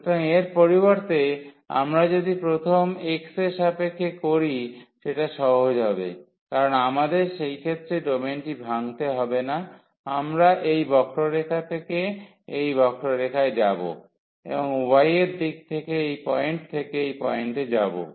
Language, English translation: Bengali, So, instead of this if we take first with respect to x that will be easier, because we do not have to break the domain in that case we will go from this curve to this curve always and in the direction of y from this point to that point